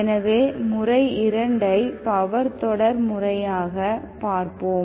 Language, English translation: Tamil, So we will see the method 2 as the power series method